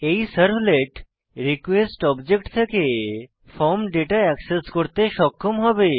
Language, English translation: Bengali, Now, this servlet will be able to access the form data from the request object